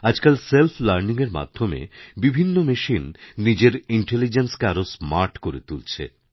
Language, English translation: Bengali, Through self learning, machines today can enhance their intelligence to a smarter level